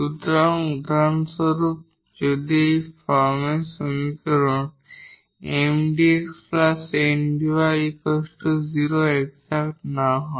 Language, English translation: Bengali, So, for instance; so, if an equation of this form Mdx, Ndy is not exact